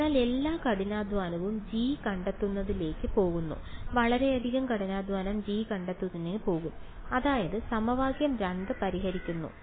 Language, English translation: Malayalam, So, all the hard work goes into finding out g, a lot of hard work will go into finding out g that is solving equation 2